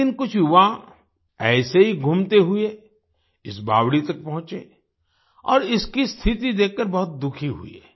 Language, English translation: Hindi, One day some youths roaming around reached this stepwell and were very sad to see its condition